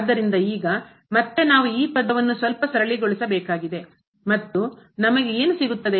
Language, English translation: Kannada, So, the now again we need to simplify this term a little bit and what we will get